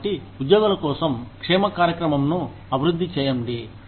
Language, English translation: Telugu, So, develop a wellness program for employees